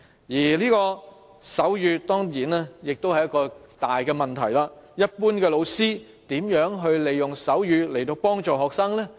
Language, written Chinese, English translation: Cantonese, 此外，手語當然也是一個大問題，一般老師如何利用手語來幫助學生呢？, Moreover sign language is also a big problem . How can an average teacher use sign language to help students?